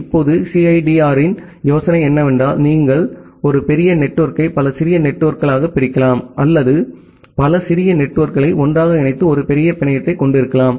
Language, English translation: Tamil, Now, the idea of CIDR is that you can split a large network into multiple small networks or you can combine multiple small networks together to have a larger network